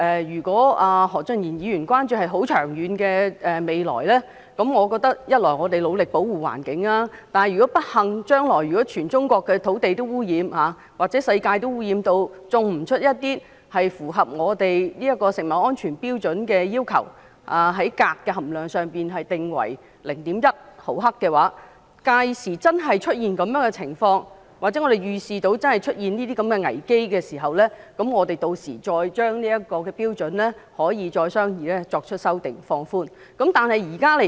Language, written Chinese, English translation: Cantonese, 如果何俊賢議員關注的是很長遠的未來，我認為一方面我們固然要很努力地保護環境，但如果不幸地，將來全中國的土地均受到污染，或世界也污染至不能種植符合我們這食物安全標準要求的食物，即鎘含量上限為每公斤 0.1 毫克，屆時如果真的出現這種情況，又或預視會出現這種危機時，我們可以再商議這標準，並作出修訂和予以放寬。, If Mr Steven HO is concerned about the distant future I think on the one hand we certainly have to make an effort to protect the environment but if unfortunately all the land in China should be polluted in future or the world should be polluted to the extent that it would be impossible to grow crops that meet this food safety standard ie . a maximum level of 0.1 mgkg for cadmium and if this really happened or such a crisis were envisaged this standard could be further discussed and an amendment could be introduced to relax it then